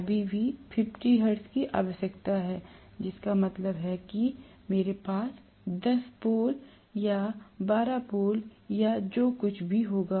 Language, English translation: Hindi, Still 50 hertz is needed, which means I will have may be 10 poles or 12 poles or whatever